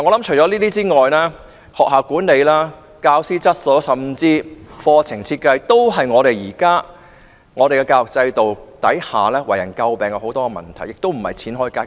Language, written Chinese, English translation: Cantonese, 此外，學校管理、教師質素甚至課程設計都是現有教育制度下為人詬病的問題，不是花錢便可以解決。, Furthermore school management the quality of teachers and course development which are subjects of criticism under the current education system cannot be solved by spending money alone